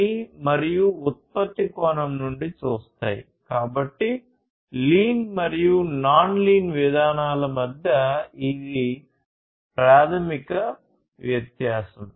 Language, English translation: Telugu, So, this fundamental difference between lean and the non lean approaches